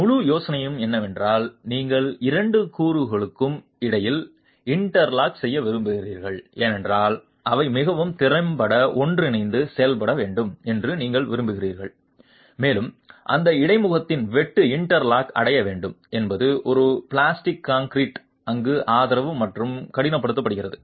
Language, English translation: Tamil, The whole idea is that you want interlocking between the two elements because you want them to work together quite effectively and the intention is to have shear interlocking achieved at that interface as plastic concrete is poured there and hardens